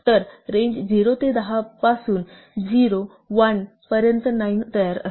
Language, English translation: Marathi, So, range 0 to 10 generates a sequence 0, 1 up to 9